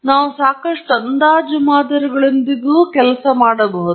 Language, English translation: Kannada, We can work with fairly approximate models